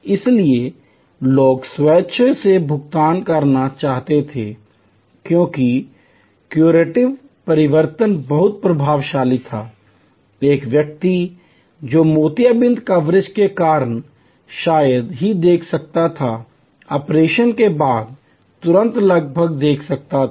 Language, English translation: Hindi, So, people were willingly to pay, because the curative transformation was very impressive, a person who could hardly see because of the cataract coverage could see almost immediately after the operation